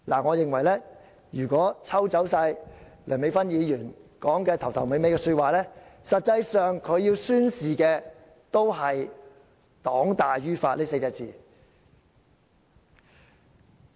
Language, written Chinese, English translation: Cantonese, 我認為如果抽走梁美芬議員發言的開場白及結語，她實際要宣示的，也是"黨大於法 "4 個字。, If we ignore the introduction and conclusion of Dr LEUNGs speech she is in effect declaring that the ruling party is superior to the law